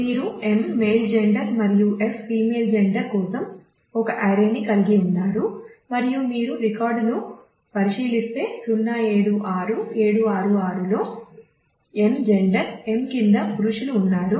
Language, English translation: Telugu, So, you have a array for m the male gender and f female gender and if you look into the record 076766 has male under m gender m